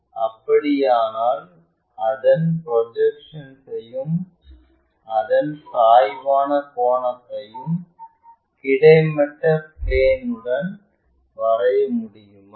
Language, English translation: Tamil, If, that is the case can we draw it is projections and it is inclination angle with horizontal plane